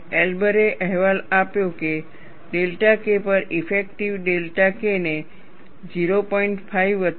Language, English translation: Gujarati, Elber reported that, delta K effective over delta K, can be written as 0